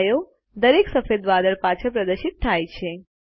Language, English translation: Gujarati, A shadow is displayed behind each white cloud